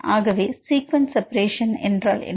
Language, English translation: Tamil, So, what is sequence separation